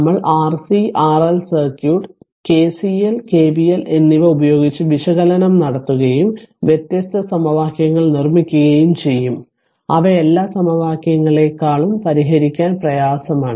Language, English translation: Malayalam, We carry out the analysis of R C and R L circuit by using your what you call KCL your KCL and KVL and produces different equations, which are more difficult to solve then as every equations right